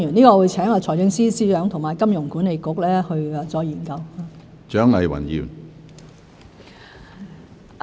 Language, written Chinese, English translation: Cantonese, 我會請財政司司長和香港金融管理局再研究。, I will ask the Financial Secretary and the Hong Kong Monetary Authority to conduct further studies